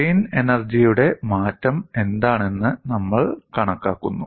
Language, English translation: Malayalam, And what is the strain energy change